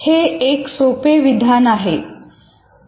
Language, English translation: Marathi, It's a very simple statement